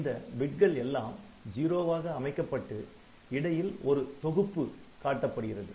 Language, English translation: Tamil, So, all this bits sets as 0 in between you have got a block ok